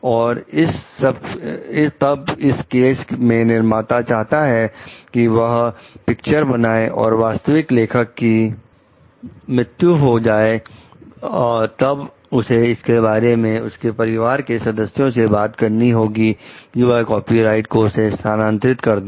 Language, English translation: Hindi, And then if in this case the movie make the producer wants to make a movie and the original author is dead, then they have to ask for the family members for the like transfer of the copyright